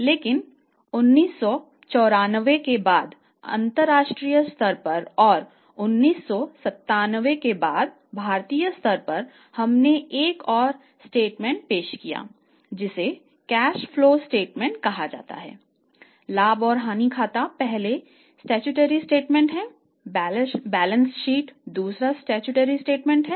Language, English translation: Hindi, But after 1994 at the international level and after 1997 at the Indian level or at the level of India we introduce one more statement and that statement is called as the cash flow statement